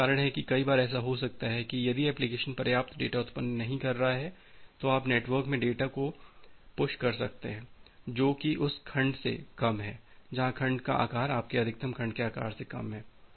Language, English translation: Hindi, So, that is why many of the times it may happen that if the application is not generating sufficient data, then you can push the data in the network which is less than the where the segment size is less than your maximum segment size